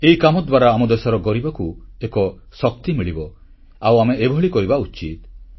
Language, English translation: Odia, The poor of our country will derive strength from this and we must do it